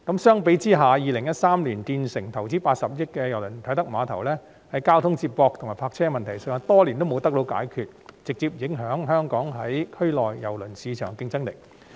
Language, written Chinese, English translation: Cantonese, 相比之下，在2013年建成、投資80億元興建的啟德郵輪碼頭，在交通接駁和泊車方面的問題多年都未得到解決，直接影響香港在區內郵輪市場的競爭力。, In contrast the Kai Tak Cruise Terminal which was completed in 2013 with an investment of 8 billion has been riddled with problems relating to transport connections and car parking for years thus directly affecting Hong Kongs competitiveness in the cruise market in the region